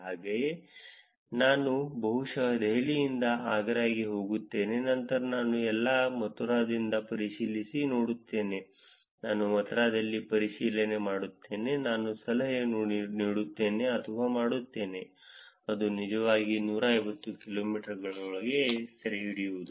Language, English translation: Kannada, So, I probably from Delhi I go to Agra, and then I do it check in all Mathura, I do check in Mathura, I do a tip or a done, that is what is actually capturing within 150 kilometers